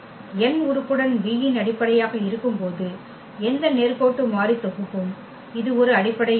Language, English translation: Tamil, Any linearly independent set when n is a basis of V with n element this is a basis